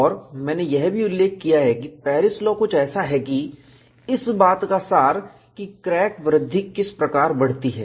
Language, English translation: Hindi, And I also mentioned, Paris law is something like a kernel, of how the crack growth takes place